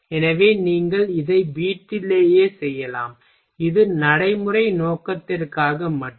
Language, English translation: Tamil, So, you can do it in home and this is for only practice purpose